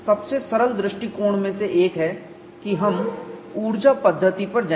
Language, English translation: Hindi, One of the simplest approach is we will go to the energy method